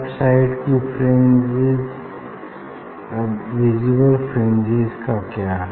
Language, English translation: Hindi, what about the visible fringe so on the left